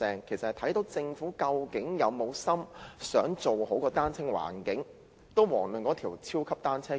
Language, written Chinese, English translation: Cantonese, 由此可見，政府究竟有沒有心做好單車友善環境，遑論那條超級單車徑了。, From these we know whether the Government is determined in creating a bicycle - friendly environment not to mention the construction of the super cycle track